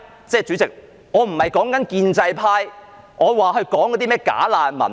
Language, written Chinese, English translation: Cantonese, 主席，我指的並非建制派說的甚麼"假難民"。, President I am not talking about bogus refugees in the words of the pro - establishment camp